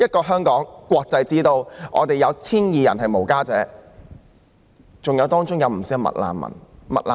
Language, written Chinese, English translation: Cantonese, 香港是國際之都，在 1,200 名露宿者中，不少是"麥難民"。, In this international metropolis called Hong Kong many of the 1 200 street sleepers are McRefugees